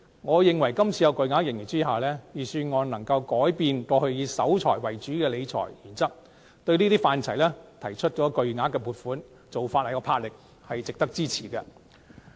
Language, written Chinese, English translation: Cantonese, 我認為在今次巨額盈餘下，預算案可以改變過去以守財為主的理財原則，向有關範疇作出巨額撥款，做法有魄力，值得支持。, In my view given the huge surplus this year the Budget did manage to change its long - standing financial management principle of keeping the wealth and make substantial allocations to some areas